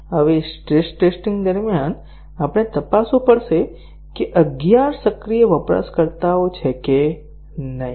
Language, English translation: Gujarati, Now, during stress testing we have to check that if there are eleven active users